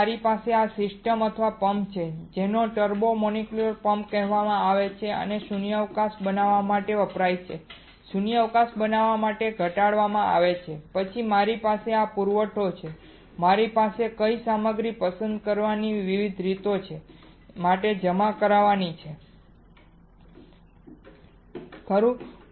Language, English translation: Gujarati, Then I have this system or pump right that is called turbo molecular pump and is used to create a vacuum is reduced to create a vacuum and then I have this supply, I have various way of selecting which material, I have to deposit right